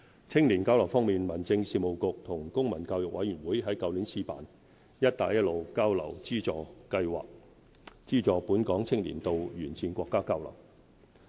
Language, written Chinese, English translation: Cantonese, 青年交流方面，民政事務局與公民教育委員會於去年試辦"'一帶一路'交流資助計劃"，資助本港青年到沿線國家交流。, For youth exchanges the Home Affairs Bureau and the Committee on the Promotion of Civic Education launched the Funding Scheme for Exchange in Belt and Road Countries on a trial basis last year . The scheme aims to provide support for local young people to participate in exchange activities in the Belt and Road countries